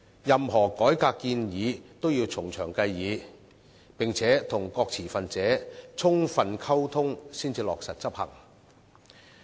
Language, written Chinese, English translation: Cantonese, 任何改革建議都要從長計議，並且與各持份者充分溝通才落實執行。, We should give any reform proposal further thoughts and ensure adequate communication among all stakeholders before its implementation and execution